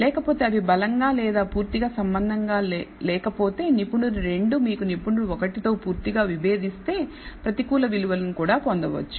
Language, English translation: Telugu, Otherwise it is not strongly associated or completely if the expert 2 completely disagrees with expert 1 you might get even negative values